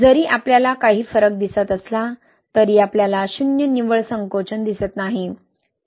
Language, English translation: Marathi, Although we see some difference but we are not seeing like zero net shrinkage, right